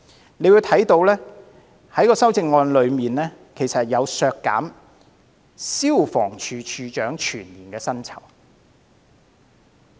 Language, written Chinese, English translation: Cantonese, 大家可以看到，有一項修正案要求削減消防處處長的全年薪酬。, We can see that they have proposed an amendment to deprive the Director of Fire Services of his annual emolument